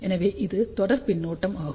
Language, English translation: Tamil, So, this is series feedback